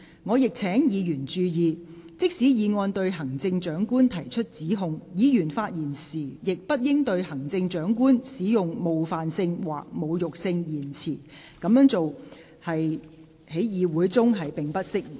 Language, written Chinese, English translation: Cantonese, 我亦請議員注意，即使議案對行政長官提出指控，議員發言時亦不應對行政長官使用冒犯性或侮辱性言詞，這樣做在議會中並不適宜。, I would also like to remind Members despite an allegation against the Chief Executive is made in the motion it is inappropriate for Members to use offensive or insulting language about the Chief Executive in their speeches